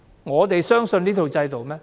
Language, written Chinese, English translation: Cantonese, 我們相信這套制度嗎？, Can we trust this system?